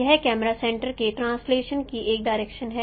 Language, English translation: Hindi, It is a direction of translation of the camera center